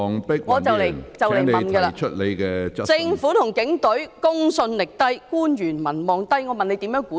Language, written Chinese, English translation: Cantonese, 我快要提問的了......政府和警隊公信力低、官員民望低，政府如何繼續管治？, I am coming to my question soon the credibility of the Government and the Police is low and the popularity rating of government officials is low